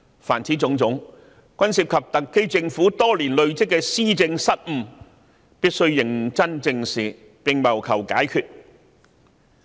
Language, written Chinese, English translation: Cantonese, 凡此種種均涉及特區政府多年來的施政失誤，必須認真正視，並謀求解決方法。, All of these involve blunders of the SAR Government in administration over many years . This must be squarely addressed in the search for solutions